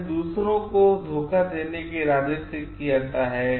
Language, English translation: Hindi, It is done with the intention to deceive others